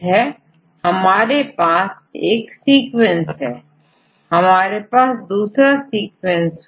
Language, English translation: Hindi, So, if we have one sequence and we have another sequence right